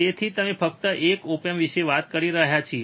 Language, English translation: Gujarati, So, we are talking about just a single op amp